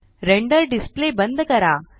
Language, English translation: Marathi, Close the Render Display